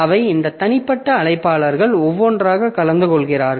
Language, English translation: Tamil, So, this individual invite is so they are attended one by one